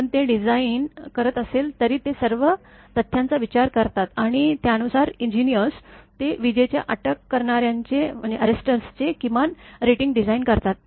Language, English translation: Marathi, But even when they design these, they consider all the facts and accordingly that engineers; they design your minimum rating of the lightning arrestors